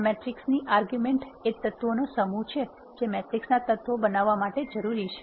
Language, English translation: Gujarati, The arguments to this matrix are the set of elements that are needed to be the elements of the matrix